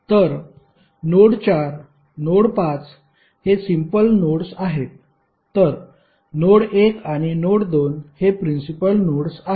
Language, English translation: Marathi, So node 4, node 5 are the simple nodes while node 1 and node 2 are principal nodes